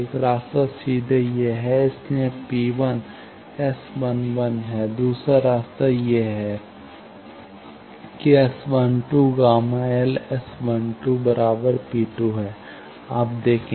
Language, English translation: Hindi, One path is directly this, so P 1 is S 11 another path is this you see S 12 gamma L S 12 P 2